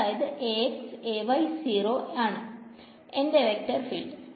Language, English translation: Malayalam, It is going to be a vector right